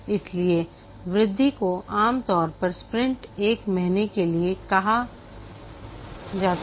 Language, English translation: Hindi, So the increments are called here as sprints, typically one month